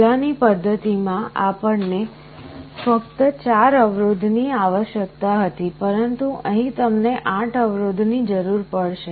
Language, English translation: Gujarati, In the earlier method, we were requiring only 4 resistances, but here if you need 8 resistances